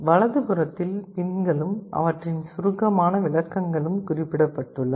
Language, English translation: Tamil, On the right the pins and their brief descriptions are mentioned